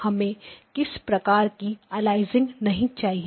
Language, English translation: Hindi, I do not want any aliasing